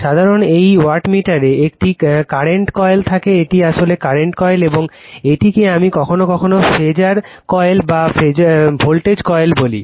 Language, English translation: Bengali, General in a wattmeter you have a current coil this is actually current coil right and this is i am sometimes we call phasor coil or voltage coil